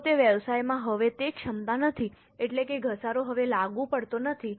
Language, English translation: Gujarati, If that business does not have that capacity any longer, that means the depreciation is no longer applicable